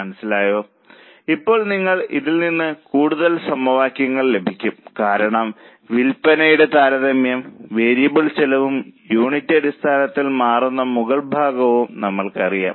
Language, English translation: Malayalam, Now you can get further equations from this because we know that the upper portion that is comparison of sales and variable costs changes on per unit basis